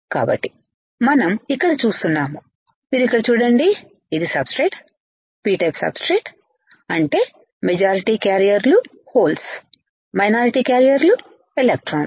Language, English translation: Telugu, So, what we see here is you see here this is the substrate, the substrate is P type right; that means, the majority carriers are holds right minority carriers are electrons, mobile charge carriers equals to in mobile hands